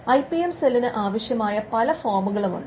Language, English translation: Malayalam, Now, there are forms that the IPM cell will need